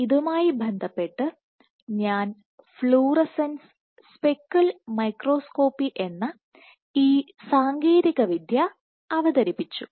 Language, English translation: Malayalam, In this regard I introduced this technique called fluorescence speckle microscopy